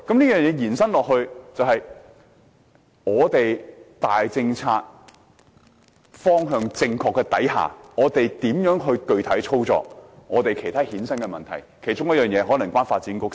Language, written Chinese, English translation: Cantonese, 延伸下來，是在大政策方向正確下，如何具體操作其他衍生的問題，其中一個問題可能與發展局有關。, Against this backdrop even though major policies are going in the right direction the Government still has to look for ways to deal with any problems that may arise in the actual implementation . One of the issues may be related to the Development Bureau